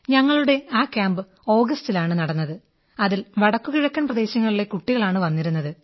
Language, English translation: Malayalam, This camp was held in August and had children from the North Eastern Region, NER too